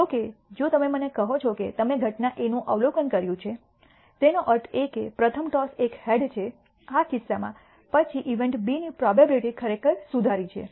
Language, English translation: Gujarati, However, if you tell me that you are observed event A; that means, that the first toss is a head, in this case then the probability of event B is actually im proved